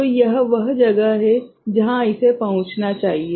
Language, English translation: Hindi, So, this is where it should reach ok